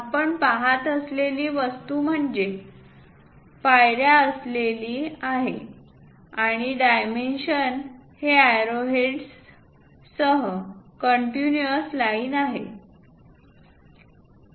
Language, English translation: Marathi, This is the object what we are looking at is a stepped one and the dimensions are these continuous lines with arrow heads